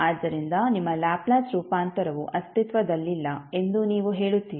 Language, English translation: Kannada, So, you will say that your Laplace transform will not exist